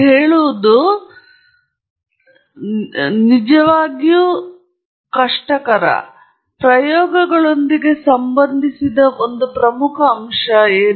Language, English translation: Kannada, So, that is a very important aspect associated with experiments